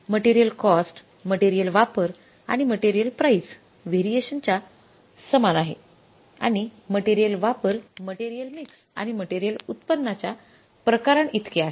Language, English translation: Marathi, Material cost is equal to material usage and material price variance and material and material, say usage is equal to the material mix and the material yield variances